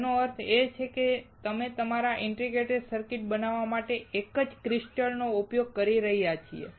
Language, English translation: Gujarati, It means that we are using a single crystal to fabricate our integrated circuit